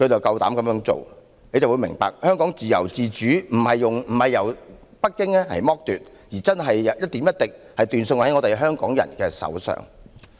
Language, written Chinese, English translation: Cantonese, 大家終於明白，香港的自由自主不是北京剝奪，而是一點一滴的斷送在香港人的手上。, We finally realized that the freedom and autonomy of Hong Kong were not seized by Beijing but were ruined bit by bit by the people of Hong Kong